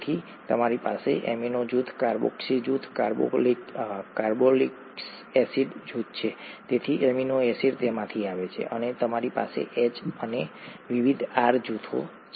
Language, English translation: Gujarati, So you have amino group, carboxy group, carboxylic acid group, so amino acid comes from that and you have H and various R groups